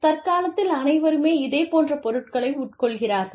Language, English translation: Tamil, So, everybody is consuming, the similar kind of stuff